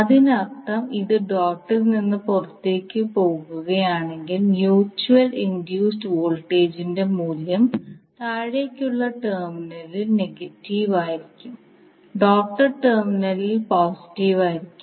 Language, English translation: Malayalam, So that means if d it is leaving the dot the value of mutual induced voltage will be negative at the downward terminal and positive at the doted terminal